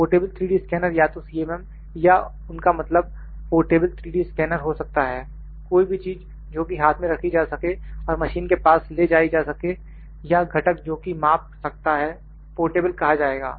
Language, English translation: Hindi, M or they meant as a portable 3D scanner anything that can be held in hand taken to the machine or the component that will like to measure is would be called as portable